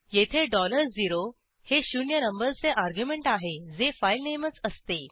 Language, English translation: Marathi, Here $0 is the zeroeth argument which is a filename itself